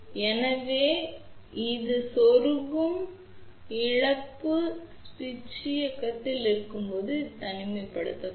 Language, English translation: Tamil, So, this is the insertion loss, when switch is on and this is the isolation